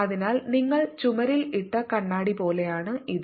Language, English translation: Malayalam, so it's like a mirror you put on the wall